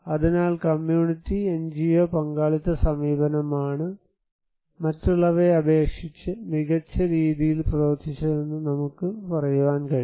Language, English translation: Malayalam, So, we can say that it is the community NGO partnership approach that worked much better than others